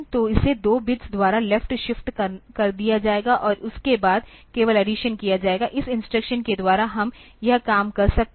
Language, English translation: Hindi, So, it will be left shifted by 2 bits and then only the addition will be done, by a single instruction we can do this thing